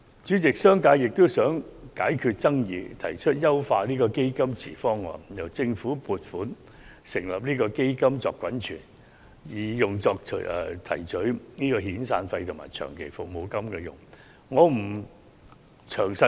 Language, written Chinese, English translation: Cantonese, 主席，商界也想解決爭議，故此提出了"優化基金池方案"，由政府撥款成立基金以作滾存，用作提取遣散費和長期服務金之用。, President the business sector also wishes to end controversy by proposing the establishment of an optimized fund pool which will be accumulated with funds from the Government for making severance payment and long service payment